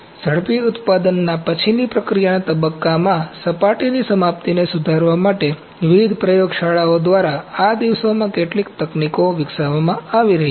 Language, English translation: Gujarati, So, there certain techniques which are being developed these days by various laboratories to improve the surface finish in the post processing step of rapid manufacturing